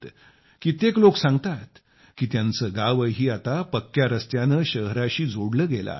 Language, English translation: Marathi, Many people say that our village too is now connected to the city by a paved road